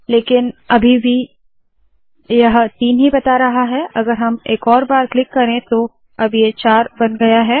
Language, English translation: Hindi, So it still says three, so if click this once more, so it becomes 4